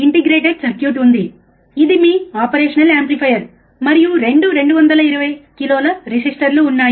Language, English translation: Telugu, There is an integrated circuit, which is your operational amplifier and there are 2 resistors of 220 k, right